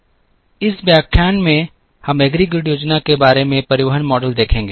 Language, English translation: Hindi, In this lecture we will see the Transportation model for Aggregate Planning